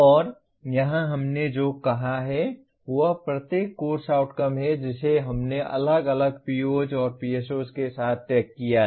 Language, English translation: Hindi, And here what we have said is each course outcome we have separately tagged with the POs and PSOs it addresses